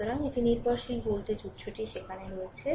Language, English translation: Bengali, So, dependent voltage source is there